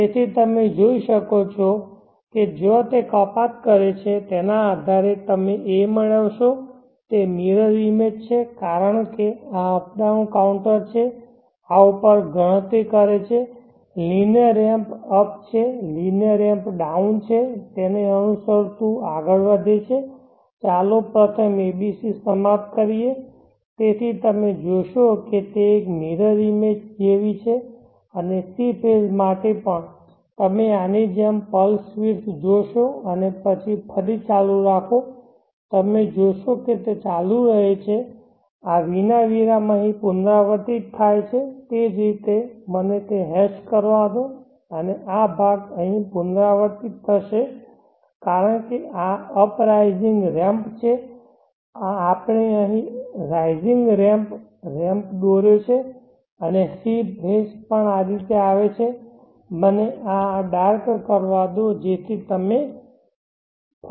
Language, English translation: Gujarati, So you can see depending upon the points where it cuts you will get the A it is mirror image because this up down counter this counts up linear ramp up linear ramp down linear ramp up keeps going in that fashion and following first let us finish the ABC so you see that it is like a mirror image and for the C phase also you will see as + width like this and then continue again up you will see that it continues without a seemed seamlessly without a break like this portion gets repeated here like that let me hatch that and this portion will get repeated here